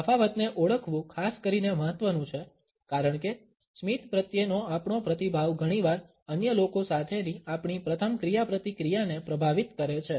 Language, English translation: Gujarati, It is particularly important to identify the difference because our response to the smile often influences our first interactions with other people